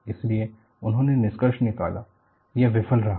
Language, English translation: Hindi, So, they concluded, it failed